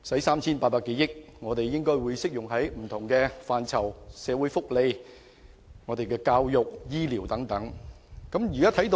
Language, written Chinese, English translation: Cantonese, 三千八百多億元的撥款應可用於不同範疇，包括社會福利、教育和醫療等方面。, The funding of some 380 billion can be used in different areas including social welfare education and health care